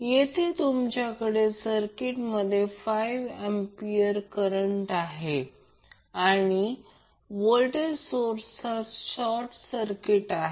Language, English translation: Marathi, Here you have 5 ampere current source back in the circuit and the voltage source is short circuited